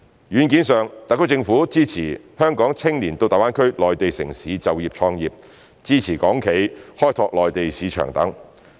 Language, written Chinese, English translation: Cantonese, 軟件上，特區政府支持香港青年到大灣區內地城市就業創業、支持港企開拓內地市場等。, In terms of software the SAR Government supports Hong Kong young people to work and start business in the Mainland cities of GBA and supports Hong Kong enterprises to tap the Mainland domestic market